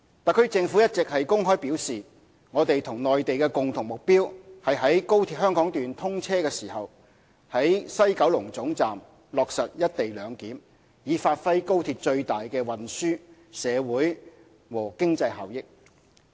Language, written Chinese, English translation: Cantonese, 特區政府一直公開表示，我們與內地的共同目標是在高鐵香港段通車時，於西九龍總站落實"一地兩檢"，以發揮高鐵最大的運輸、社會和經濟效益。, The Government has all along stated in public that it is the common goal of the Mainland authorities and us to implement co - location of customs immigration and quarantine CIQ facilities at the West Kowloon Terminus WKT upon the commissioning of the Hong Kong section of XRL in order to maximize its transportation social and economic benefits